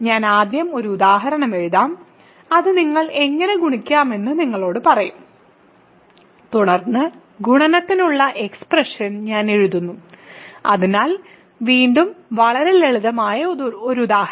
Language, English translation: Malayalam, So, I will write an example first and that will tell you how to multiply and then I will write the formal expression for multiplication, so again a very simple example